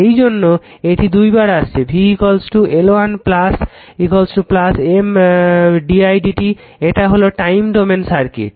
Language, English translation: Bengali, So, V is equal to L 1 plus L 2 plus M d i by d t this is the time domain circuit right